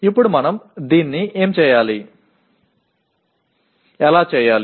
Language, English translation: Telugu, Now how do we do this